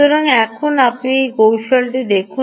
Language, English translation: Bengali, so now you see the trick